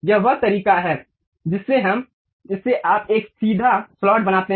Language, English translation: Hindi, This is the way you construct a straight slot